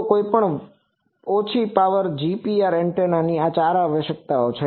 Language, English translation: Gujarati, So, these are the four requirements of any low power GPR type of antenna